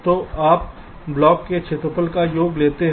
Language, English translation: Hindi, so you take the sum total of the areas of the blocks, so you get the areas of the blocks